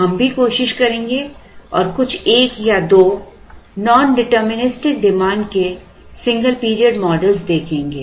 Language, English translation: Hindi, We would also try and look at some one or two single period models with nondeterministic demand